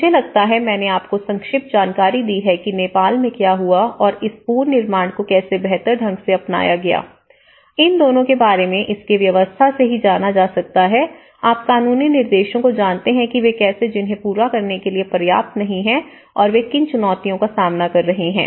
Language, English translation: Hindi, I think, this is given you a very brief understanding on what happened in the Nepal and how this build back better has been adopted both from a governess point of it and from the setup of it and you know by the legal instructions how they were not adequate to fulfill, so what are the challenges they are facing